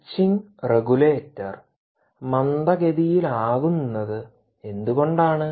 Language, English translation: Malayalam, now why is the switching regulator slower